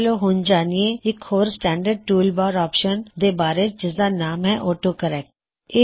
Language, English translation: Punjabi, Let us now learn about another standard tool bar option called AutoCorrect